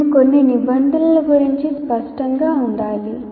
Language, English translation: Telugu, Now we need to be clear about a few terms